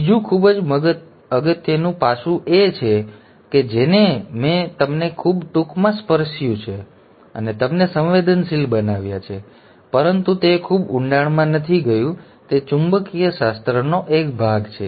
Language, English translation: Gujarati, Another in a very very important aspect that I have very briefly touched and sensitized you but not gone into very great depth is the part of magnetics